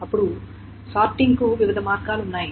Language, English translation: Telugu, Then there are different ways of sorting